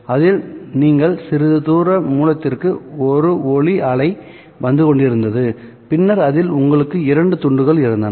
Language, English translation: Tamil, So, in which you had a light wave coming in from some distant source and then you had two slits